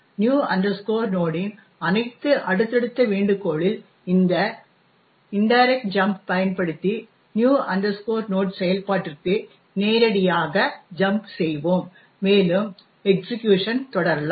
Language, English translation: Tamil, All, subsequent invocations of new node would directly jump to the new node function using this indirect jump and we can continue the execution